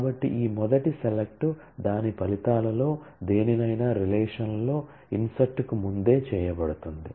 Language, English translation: Telugu, So, this first select from will be done before any of its results are inserted in the relation